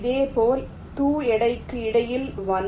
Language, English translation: Tamil, similarly, between these two weight is one